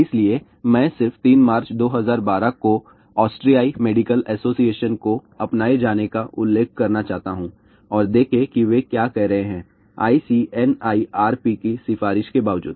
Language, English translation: Hindi, So, I just want to also mention here Austrian Medical Association adopted on third march 2012 and see what they are saying; irrespective of ICNIRP recommendation